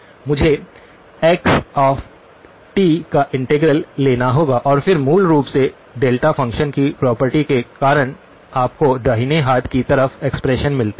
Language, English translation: Hindi, I have to take integral of xs of t and then the integral basically because of the property of the delta function gives you the expression on the right hand side okay